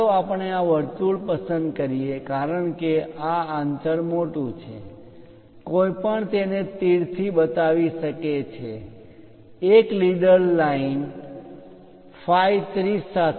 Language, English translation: Gujarati, Let us pick this circle because this gap is large one can really show it in terms of arrow, a leader line with phi 30